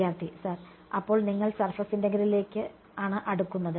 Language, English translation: Malayalam, Sir, then probably you are approaching the surface integral